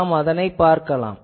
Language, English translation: Tamil, So, we will see that